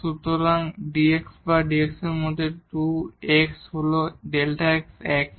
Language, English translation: Bengali, So, 2 x into dx or dx is delta x is the same